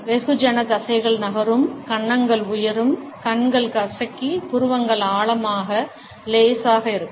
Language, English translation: Tamil, Mass muscles move, cheeks rise, eyes squeeze up and eyebrows deep slight